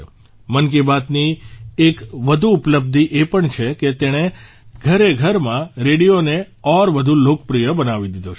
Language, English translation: Gujarati, Another achievement of 'Mann Ki Baat' is that it has made radio more popular in every household